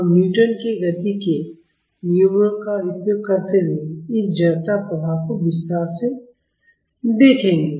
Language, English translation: Hindi, We will look at this inertia effect in detail using Newton’s laws of motion